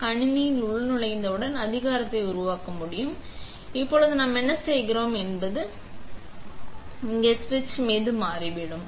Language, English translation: Tamil, So, once you have logged in the machine will be able to power up and what we do now is we turn the ON switch on here